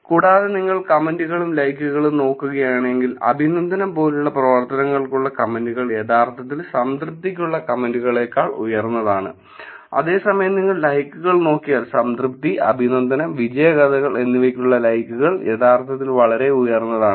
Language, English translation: Malayalam, And, if you look at the comments and the likes, the comments for actions like appreciation are actually higher than the comments for satisfaction; whereas, if you look at the likes, the likes for satisfaction, appreciation and success stories are actually very highe